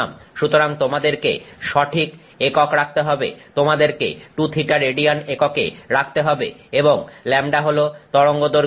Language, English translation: Bengali, So, you have to put the correct units, you have to put it in 2 theta and in radiance you have to put and lambda is the wavelength